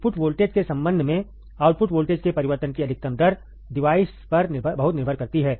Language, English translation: Hindi, Maximum rate of change of output voltage with respect to the input voltage, depends greatly on the device